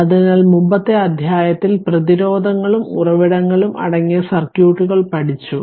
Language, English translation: Malayalam, So, in the previous chapter, we have studied circuits that is composed of resistance your resistances and sources